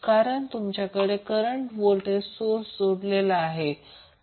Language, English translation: Marathi, So in this case we are having the voltage source